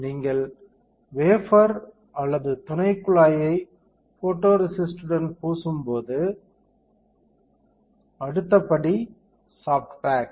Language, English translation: Tamil, When you coat the wafer or subset with photoresist, the next step would be soft bake